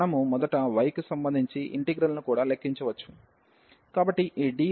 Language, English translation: Telugu, We can also compute first the integral with respect to y so this dy